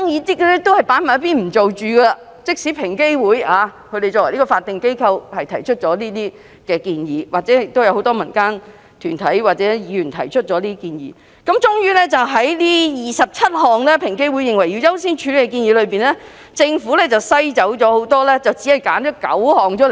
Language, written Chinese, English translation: Cantonese, 即使這些建議是平機會作為法定機構提出，或是由很多民間團體或議員提出，政府最終也是在該27項平機會認為應該優先處理的建議中作出篩選，只選出9項而已。, These recommendations are put forth by EOC as a statutory body and many civil groups and Members of this Council . However of the 27 recommendations which according to EOC should be accorded a higher priority the Government only selected nine